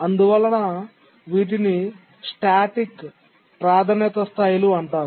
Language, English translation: Telugu, So, these are static priority levels